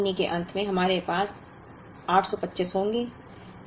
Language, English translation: Hindi, So, at the end of the 1st month, we will have 825